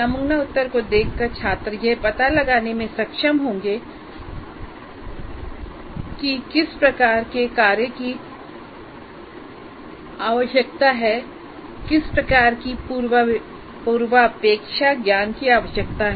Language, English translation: Hindi, By looking at the sample answer, the kind of work that is required, the kind of prerequisite knowledge that is required can be ascertained